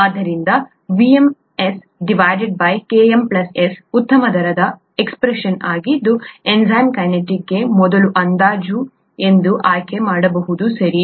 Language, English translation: Kannada, So VmS by Km plus S is a good rate expression that one can choose as a first approximation for enzyme kinetics, okay